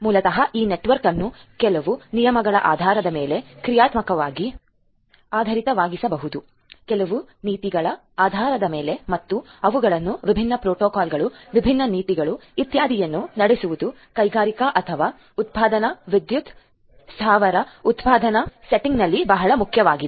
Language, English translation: Kannada, So, basically implementing segmenting this network dynamically based on certain rules, based on certain policies and having them run different different protocols, different different policies etcetera is very important in a industrial or manufacturing power plant manufacturing setting